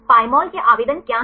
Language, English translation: Hindi, What are the applications of Pymol